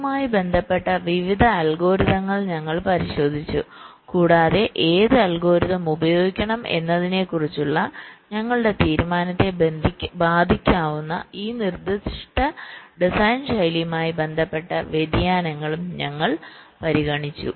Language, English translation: Malayalam, so we looked at various algorithms in this regards and we also considered this specific design style, related radiations that can affect our decision as to which algorithm should we should be used